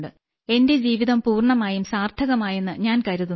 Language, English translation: Malayalam, Meaning, I believe that my life has become completely meaningful